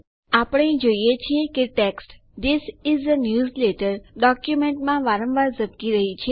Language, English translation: Gujarati, We see that the text This is a newsletter constantly blinks in the document